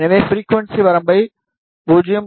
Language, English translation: Tamil, So, we will select the frequency range from 0